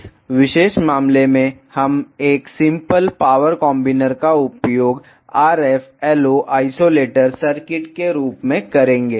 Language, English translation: Hindi, In this particular case we will use a simple power combiner as a RFLO isolator circuit